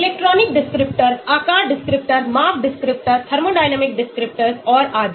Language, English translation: Hindi, electronic descriptor, shape descriptors, size descriptors, thermodynamic descriptors and so on